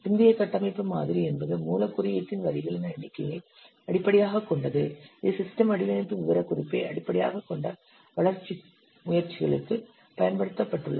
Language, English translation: Tamil, Post aritecture model is based on number of lines of source code which are used and this is used for development report which is based on system design specification